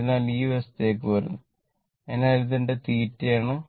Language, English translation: Malayalam, So, coming to this side, so that means, this is my theta